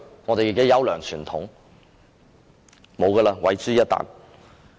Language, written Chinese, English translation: Cantonese, 立法會的優良傳統，已經毀諸一旦。, The fine traditions of the Legislative Council have been destroyed completely